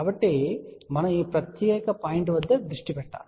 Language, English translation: Telugu, So, we need to focus at this particular point